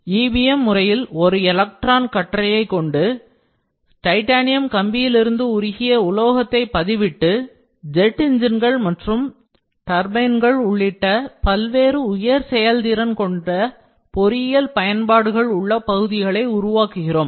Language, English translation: Tamil, When EBM is used, an electron beam gun deposits with molten metal from titanium wire feedstock, creating parts of a variety of high performance engineering applications, including jet engines and turbines